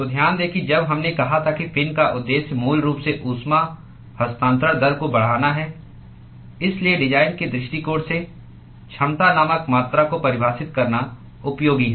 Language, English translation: Hindi, So, note that when we said the purpose of a fin is basically to enhance the heat transfer rate, so therefore, from design point of view, it is useful to define a quantity called efficiency